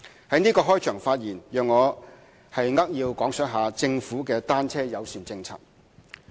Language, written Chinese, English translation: Cantonese, 在此開場發言，讓我扼要講述政府的單車友善政策。, In these opening remarks I will give a brief account of the Governments bicycle - friendly policy